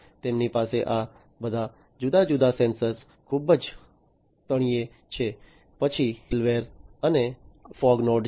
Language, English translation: Gujarati, They have all these different sensors at the very bottom, then there is the middleware and the fog node